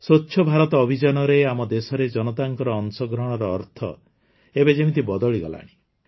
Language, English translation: Odia, My dear countrymen, Swachh Bharat Abhiyan has changed the meaning of public participation in our country